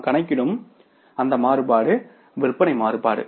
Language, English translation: Tamil, And then next variance we calculate is the sales variances